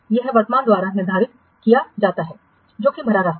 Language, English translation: Hindi, It is determined by the current critical path